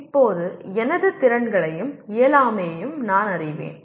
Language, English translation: Tamil, Now, I am aware of my abilities as well as inabilities